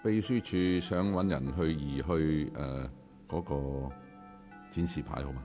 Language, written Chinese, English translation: Cantonese, 請秘書處人員移除那個展示牌。, Secretariat staff will please remove the placard